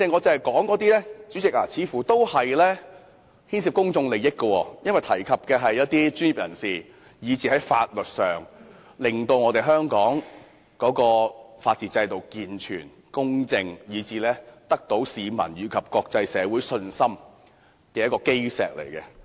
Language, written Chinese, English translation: Cantonese, 主席，我剛才提出的問題似乎都牽涉公眾利益，因為不單涉及專業人士，亦會影響香港法治制度的健全和公正，而這正是令市民和國際有信心的基石。, President the issues I just raised seem to involve public interests . Not only does it involve the professionals but also affect the integrity and impartiality of Hong Kongs system of rule of law which are precisely the cornerstones for ensuring the confidence of the public and the world